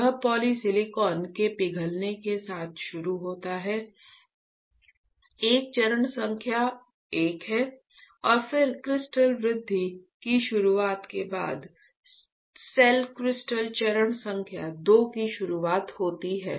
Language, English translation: Hindi, It starts with the melting of poly silicon is a step number 1, right and then there is an introduction of cell crystal step number 2 following by beginning of crystal growth